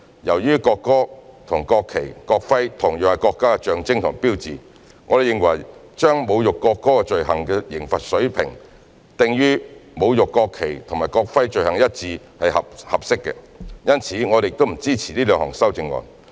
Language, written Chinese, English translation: Cantonese, 由於國歌和國旗、國徽同樣是國家的象徵和標誌，我們認為把侮辱國歌罪行的刑罰水平訂於與侮辱國旗或國徽罪行一致的刑罰水平是合適的，因此我們不支持這兩項修正案。, Since the national anthem the national flag and the national emblem are the symbol and sign of the country we consider it appropriate to set the penalty level for the offence of insulting the national anthem on a par with the penalty level for the offence of insulting the national flag or the national emblem . Hence we do not support these two amendments